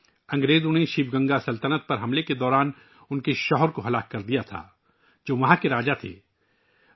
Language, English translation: Urdu, Her husband, was killed by the British during their attack on the Sivagangai kingdom, who was the king there